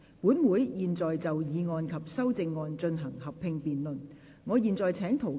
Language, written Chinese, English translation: Cantonese, 本會現在就議案及修正案進行合併辯論。, This Council will now proceed to a joint debate on the motion and the amendment